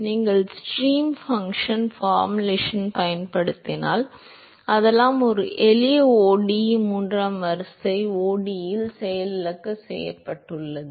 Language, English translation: Tamil, That because you use the stream function formulation, so, all that has been crashed into a simple ODE third order ODE